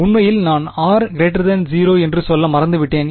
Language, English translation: Tamil, actually I forgot one think I am saying r greater than 0